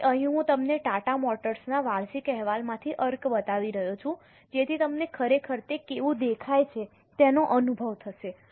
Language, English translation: Gujarati, Now, here I am showing you extracts from Tata Motors annual report so that you will actually have a feel of how it looks like